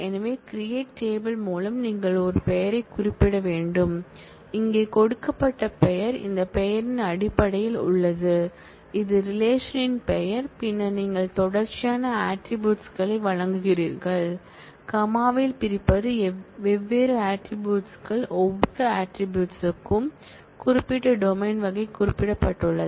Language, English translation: Tamil, So, with the create table you have to specify a name, here the name that is given is in terms of this name r, which is the name of the relation and then you provide a series of attributes, separating by comma Ai are different attributes and for every attribute, there is a corresponding type domain type specified